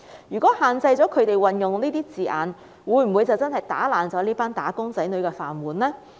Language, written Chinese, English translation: Cantonese, 如果限制了他們運用這些字眼，會否真的打破這群"打工仔女"的"飯碗"呢？, If restrictions are imposed on the use of these terms will this group of employees lose their means of living?